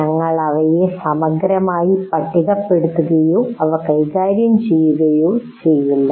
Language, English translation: Malayalam, We are not going to exhaustively list them or deal with them